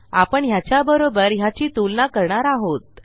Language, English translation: Marathi, Okay so weve compared this here to this here